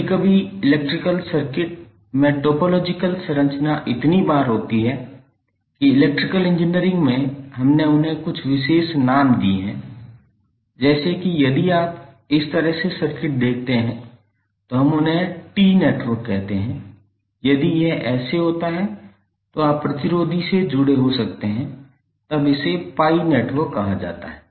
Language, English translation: Hindi, Sometimes the topological structure in the electrical circuit occur so frequently that in Electrical Engineering we have given them some special names, like if you see circuit like this we called them as T network, if it is like this were you may have resistor connected like this then it is called pi network